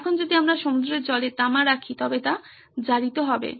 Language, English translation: Bengali, Now if we put copper in seawater it becomes corroded